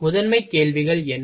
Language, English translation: Tamil, What is the primary questions